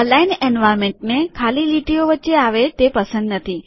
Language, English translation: Gujarati, Aligned environment does not like blank lines in between